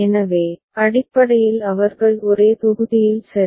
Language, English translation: Tamil, So, basically they are in the same block ok